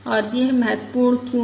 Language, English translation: Hindi, And why is this important